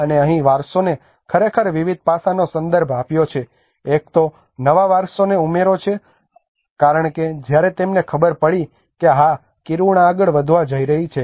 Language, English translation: Gujarati, And here the heritagisation have actually referred to various aspects; one is the addition of new heritage because when they came to know that yes the Kiruna is going to move further